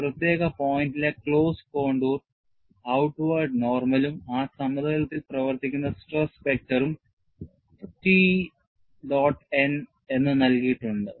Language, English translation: Malayalam, On the closed contour, at a particular point, we have depicted the outward normal and also the stress vector acting on that plane, which is given as T n